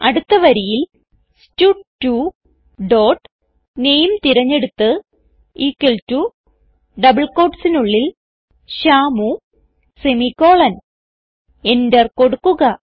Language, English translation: Malayalam, Next line stud2 dot select name equal to within double quotes Shyamu semicolon press enter